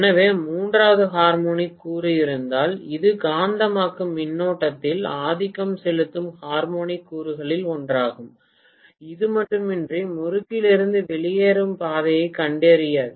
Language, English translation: Tamil, So if there is a third harmonic component which is one of the dominating harmonic components in the magnetizing current that will not find the path to flow out of the transformer winding